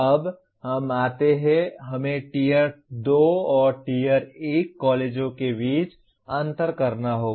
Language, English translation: Hindi, Now we come to, we have to differentiate between Tier 2 and Tier 1 colleges